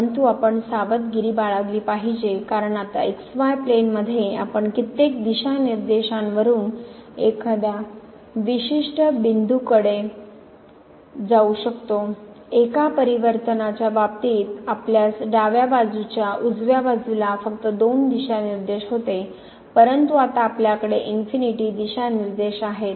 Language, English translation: Marathi, But we have to be careful because in the plane now we can approach to a particular point from several directions, while in case of one variable we had only two directions from the right hand side from the left hand side, but now we have infinitely many directions